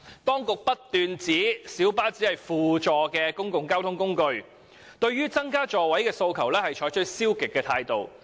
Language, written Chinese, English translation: Cantonese, 當局不斷指小巴只是輔助的公共交通工具，因此，對於增加座位的訴求採取消極的態度。, As the authorities have always maintained that the role of light buses is to provide supplementary public transport service a negative attitude has been adopted in response to the demand for increasing the seating capacity